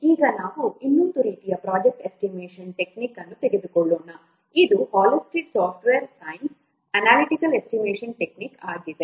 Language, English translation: Kannada, Now let's take another kind of project estimation technique that is Hullstead's Subtash Science which is an analytical estimation technique that is Hullstead's subter science which is an analytical estimation technique